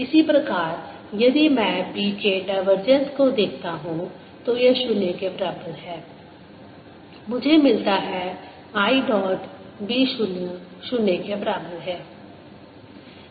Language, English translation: Hindi, similarly, if i look at, divergence of b is equal to zero, i get i dot, b zero is equal to zero